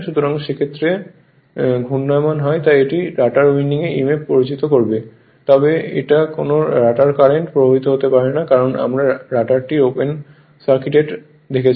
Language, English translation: Bengali, So, field is rotating so it will also induce your what you call emf in the rotor winding, but no rotor current can flow because we are assume the [roton/rotor] rotor is open circuited right